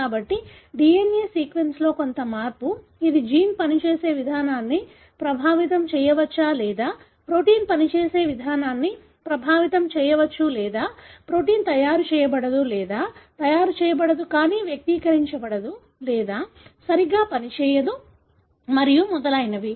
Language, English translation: Telugu, So, some change in the DNA sequence, which may affect the way the gene functions or it may affect the way the protein functions or the protein may not be made or made but not expressed or properly functioning and so on